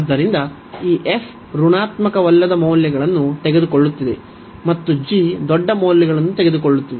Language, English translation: Kannada, So, this f is taking non negative values, and g is taking larger values then f